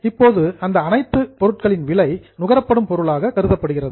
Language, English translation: Tamil, Now, the cost of all these items is considered as material consumed